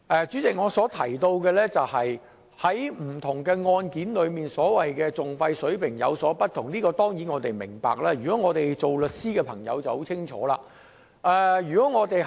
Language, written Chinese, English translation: Cantonese, 主席，對於當局提到不同案件的訟費水平有所不同這一點，我們當然明白，我們作為律師的便更清楚。, President regarding the point raised by the authorities that the level of litigation costs varies from case to case we of course understand and we as lawyers know it full well